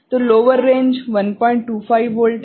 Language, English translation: Hindi, So, the lower range is 1